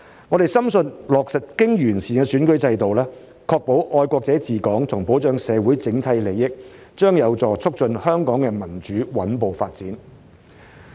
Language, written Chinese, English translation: Cantonese, 我們深信落實經完善的選舉制度，確保"愛國者治港"和保障社會整體利益，將有助促進香港的民主穩步發展。, We strongly believe that the implementation of the improved electoral system to ensure patriots administering Hong Kong and safeguard the overall interests of society will facilitate the steady development of democracy in Hong Kong